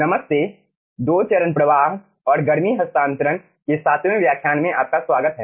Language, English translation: Hindi, hello, welcome to the seventh lecture of 2 phase flow and heat transfer